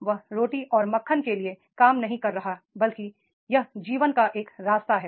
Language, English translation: Hindi, He is not doing the job for the bread and butter but it is a way of life